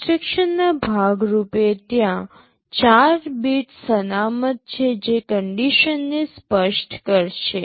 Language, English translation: Gujarati, As part of an instruction there are 4 bits reserved that will be specifying the condition